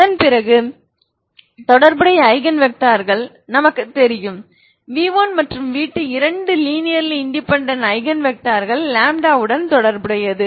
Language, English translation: Tamil, And then corresponding Eigen vectors I know that v1 is Eigen vector v2 is Eigen vector two linearly independent these are two linearly independent vectors ok